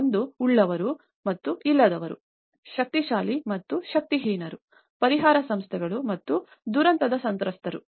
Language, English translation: Kannada, One is the haves and the have nots, the powerful and the powerless, the relief organizations and the victims of the disaster